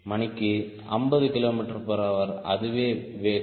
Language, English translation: Tamil, so around fifty kilometer per hour